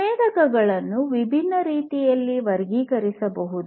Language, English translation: Kannada, The sensors could be classified in different, different ways